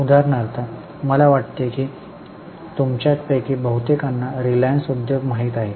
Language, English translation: Marathi, For example, I think most of you know reliance industries